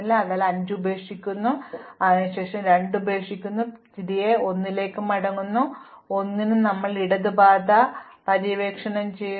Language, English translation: Malayalam, So, we leave 5 likewise we leave 2 finally, we come back to 1, now at 1 we have explored this left path